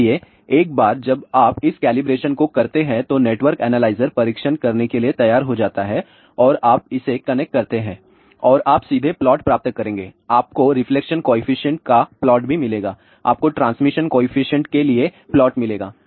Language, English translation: Hindi, So, once you do this particular calibration network analyzer is ready to do the testing and you connect that and you will straight way get the plot you will get the plot of reflection coefficient also you will get the plot for transmission coefficient